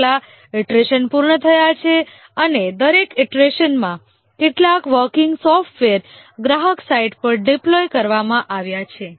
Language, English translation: Gujarati, How many iterations have been completed and each iteration some working software is deployed at the customer site